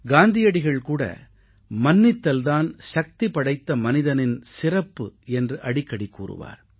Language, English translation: Tamil, And Mahatma Gandhi always said, that forgiveness is the quality of great men